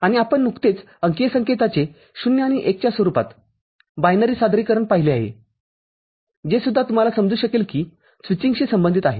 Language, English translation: Marathi, And just now we have seen the binary representations of digital signals in the form of 0s and 1s, that is also can be you know in that sense associated with switching